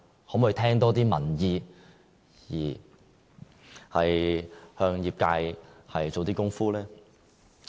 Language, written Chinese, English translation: Cantonese, 可否多聽取民意，向業界做些工夫呢？, Could the Government be more attentive to public opinions and to negotiate with the industry?